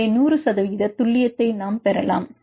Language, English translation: Tamil, So, we could get an accuracy of 100 percent